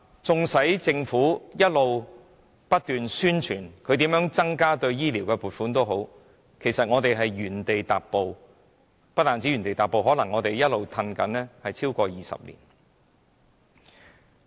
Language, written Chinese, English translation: Cantonese, 縱使本港政府不斷聲稱增加醫療方面的撥款，但其實一直也在原地踏步，甚至可能是一直倒退超過20年。, The Government has repeatedly vowed to increase funding for health care but progress has yet to be made . Worse still we might have stepped backwards for 20 years